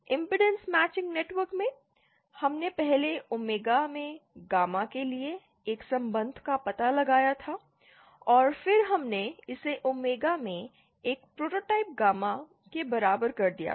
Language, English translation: Hindi, In the impedance matching networks, we 1st had found out a relationship for, gamma in omega and then we had equated it to a prototype gamma in omega